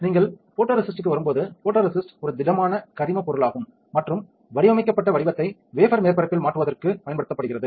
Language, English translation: Tamil, Now, photoresist when you come to photoresist, the photoresist is a polymer which is solid organic material and is used to transfer the designed pattern to wafer surface